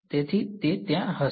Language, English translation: Gujarati, So, it's going to be there